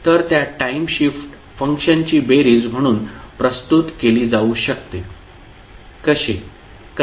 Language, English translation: Marathi, So iIt can be represented as the sum of time shifted functions, how